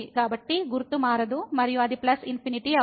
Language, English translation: Telugu, So, sign will not change and it will be plus infinity